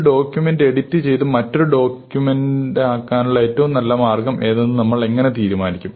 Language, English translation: Malayalam, How do you decide what is the best way to edit one document and make it another document